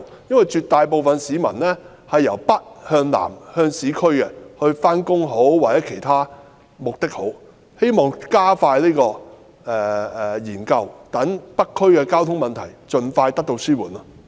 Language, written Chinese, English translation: Cantonese, 因為絕大部分市民也是由北向南到市區上班，希望當局加快有關研究，讓北區的交通問題盡快得到紓緩。, It is because an overwhelming majority of residents in North District travel from north to south to work in the urban areas . I hope that the authorities can speed up the study so that the transport problem in North District can be alleviated without delay